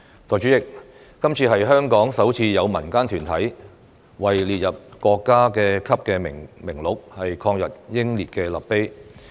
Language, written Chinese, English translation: Cantonese, 代理主席，今次是香港首次有民間團體為列入國家級名錄的抗日英烈立碑。, Deputy President this is the first time that a community group in Hong Kong has erected a monument to anti - Japan martyrs on the national list